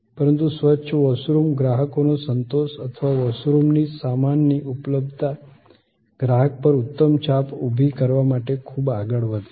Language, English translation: Gujarati, But, a clean toilet goes a long way to create customer satisfaction or goods availability of washrooms create an excellent impression on the customer